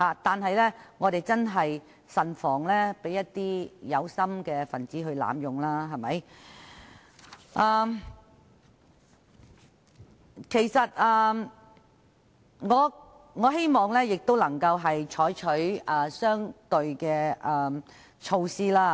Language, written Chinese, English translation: Cantonese, 然而，我們要慎防法律被有心人濫用，所以我希望當局能採取相對的措施。, Nevertheless we really need to guard against someone who try to abuse the system . Hence I hope that the authorities will take some appropriate measures